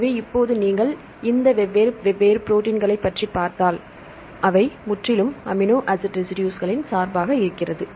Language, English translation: Tamil, So, now if you look into these different proteins right are; they are any bias of different amino acid residues totally